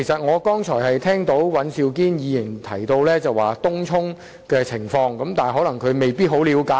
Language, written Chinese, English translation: Cantonese, 我剛才聽到尹兆堅議員提及東涌的情況，但他未必十分了解。, Earlier on I heard Mr Andrew WAN mention the situation of Tung Chung but he may not have a full understanding of it